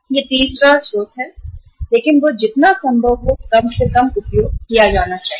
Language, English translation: Hindi, That is the third source but that should be used as minimum as possible